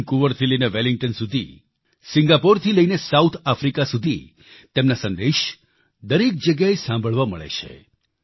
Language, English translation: Gujarati, From Vancouver to Wellington, from Singapore to South Africa his messages are heard all around